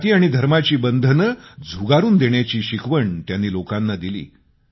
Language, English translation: Marathi, His teachings to people focused on breaking the cordons of caste and religion